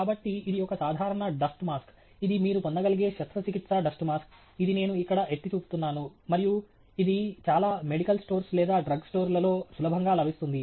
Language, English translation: Telugu, So, this is a simple dust mask which is a surgical dust mask kind of thing that you can get, which I am pointing out here, and this is easily available in many, you know, medical stores or drug stores